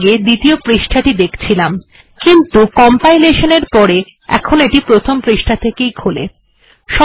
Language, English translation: Bengali, We were viewing the second page, on compilation, it goes to the first page